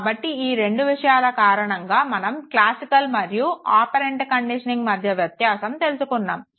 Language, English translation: Telugu, So, these two things again, you know, differentiates between classical and operant conditioning